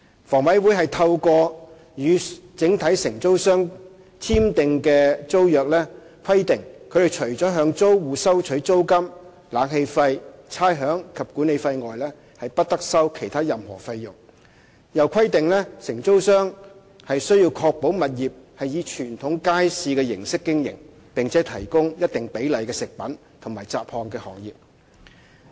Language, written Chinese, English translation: Cantonese, 房委會透過與整體承租商簽訂的租約規定，他們除了向租戶收取租金、冷氣費、差餉及管理費外，不得收取其他任何費用；又規定承租商須確保物業以傳統街市的形式經營，並且提供一定比例的食品和雜項的行業。, According to the tenancy requirements signed between HA and a single operator the single operator must not collect any fees other than rent air conditioning charges rates and management fees from the stall operators . Moreover the single operator shall ensure that the premises will be operated as a traditional market and provide a certain proportion of food and miscellaneous trades